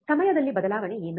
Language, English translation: Kannada, What is change in the time